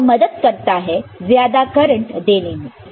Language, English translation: Hindi, So, it also helps in providing larger amount of current